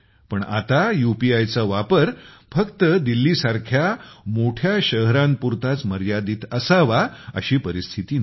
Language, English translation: Marathi, But now it is not the case that this spread of UPI is limited only to big cities like Delhi